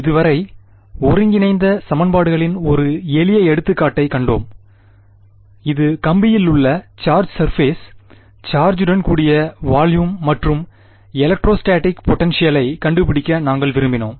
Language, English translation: Tamil, So far, we have seen one simple example of integral equations which is the, volume at the wire with the charge surface charge on it and we wanted to find out the electrostatic potential